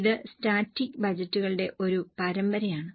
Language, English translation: Malayalam, It is a series of static budgets